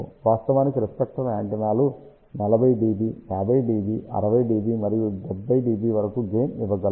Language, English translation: Telugu, In fact, reflector antennas can give gain of 40 db, 50 dB, 60 dB and even up to 70 dB